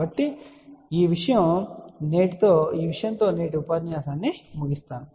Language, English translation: Telugu, So, we will conclude today's lecture at this particular point